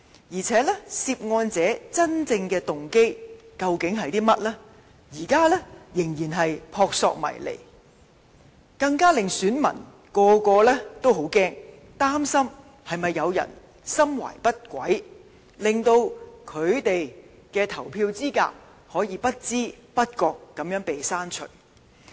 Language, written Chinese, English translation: Cantonese, 而且，涉案者的真正動機，現時仍然撲朔迷離，更令選民感到害怕，擔心會否有人心懷不軌，令他們的投票資格會被不知不覺地刪除。, As the real motives of the persons involved in such acts are still unknown the electors are in fear worrying that someone with malicious intent may deprive them of their eligibility to vote without their knowledge or even worse use such personal data to commit crimes